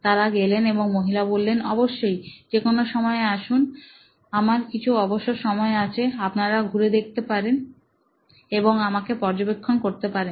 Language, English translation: Bengali, So, they went and the lady said yes of course, come on anytime I have some free time you can walk in and observe me